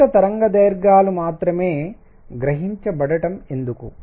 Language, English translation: Telugu, Why is it that only certain wavelengths are absorbed